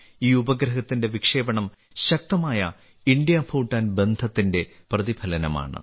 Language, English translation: Malayalam, The launching of this satellite is a reflection of the strong IndoBhutan relations